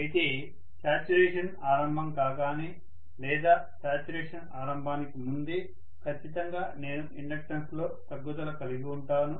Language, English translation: Telugu, Whereas, the moment saturation creeps in or even before the saturation creeps in, I am going to have the inductance definitely decreasing